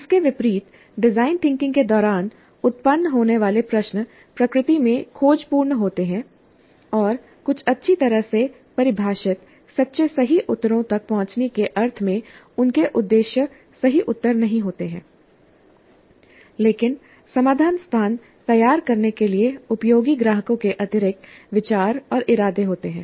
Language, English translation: Hindi, By contrast, questions that arise during design thinking are exploratory in nature and their objectives are not true answers in the sense of reaching some well defined correct true answers, but additional ideas and intents of customers useful for framing the solution space